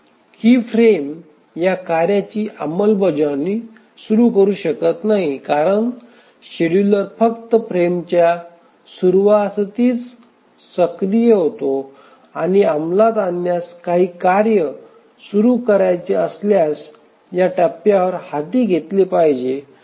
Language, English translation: Marathi, Obviously this frame cannot start execution of this task because the scheduler activities only at the start of the frame and if anything whose execution is to be started must be undertaken at this point